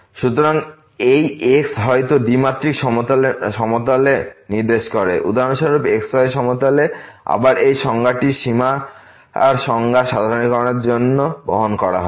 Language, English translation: Bengali, So, this maybe point in two dimensional plane for example, in plane and again, this definition will be carried for generalization the definition of the limit